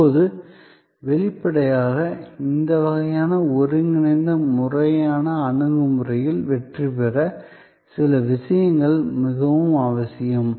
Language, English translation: Tamil, Now; obviously to be successful in this kind of integral systemic approach, certain things are very necessary